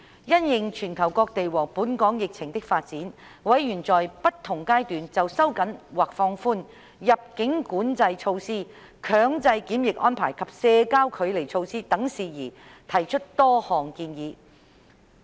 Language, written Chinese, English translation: Cantonese, 因應全球各地和本港疫情的發展，委員在不同階段就收緊或放寬入境管制措施、強制檢疫安排及社交距離措施等事宜提出多項建議。, Members have made various recommendations in view of the international and local epidemic developments ranging from issues such as relaxing and tightening of border - control measures under different circumstances and mandatory quarantine arrangements to social distancing measures